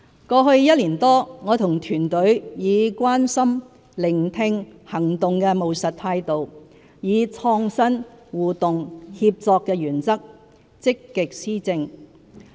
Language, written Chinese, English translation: Cantonese, 過去一年多，我和團隊以"關心"、"聆聽"、"行動"的務實態度，以"創新"、"互動"、"協作"的原則，積極施政。, In the past year or so my political team and I have taken a pragmatic approach to care listen and act while being innovative interactive and collaborative in implementing our policy initiatives proactively